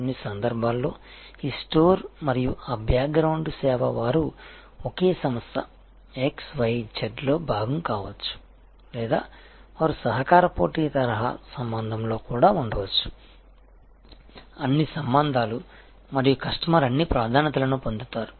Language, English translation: Telugu, In some cases this store and that a background the service they can be all part of the same organization XYZ or they can actually be even in a collaborative competitive type of relationship do all relationship and the customer getting all the preferences